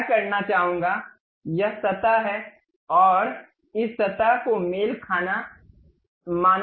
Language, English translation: Hindi, What I would like to do is this surface and this surface supposed to be coincident